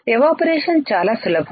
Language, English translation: Telugu, Evaporation very easy right